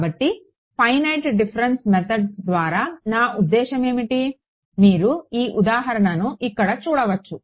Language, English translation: Telugu, So, what do I mean by finite difference methods, you can look at this example over here right